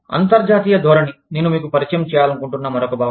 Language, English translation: Telugu, International orientation, is another concept, that i want to, introduce you to